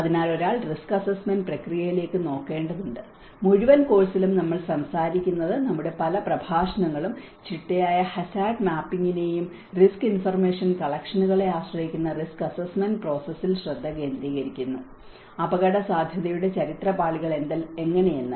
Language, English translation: Malayalam, So, one has to look at the risk assessment process I think in the whole course we are talking about many of our lectures are focusing on the risk assessment process which rely on systematic hazard mapping and risk information collections, how the historical layers of the risk also talks about yes this is a prone area and inundation maps